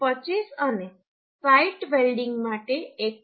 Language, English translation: Gujarati, 25 for shop welding and 1